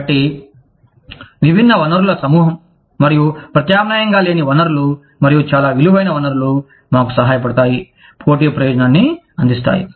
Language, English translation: Telugu, So, diverse pool of resources, and non substitutable resources, and very valuable resources, will help us, gain a competitive advantage